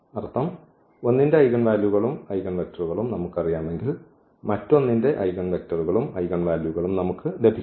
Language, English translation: Malayalam, So, meaning if we know the eigenvalues and eigenvector of one, we can get the eigenvalues, eigenvectors of the other